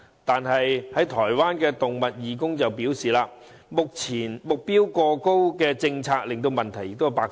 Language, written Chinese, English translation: Cantonese, 但是，有台灣的動物義工表示，政策目標過高令問題百出。, However some animal volunteers in Taiwan said that the excessively high objective of the policy has created many problems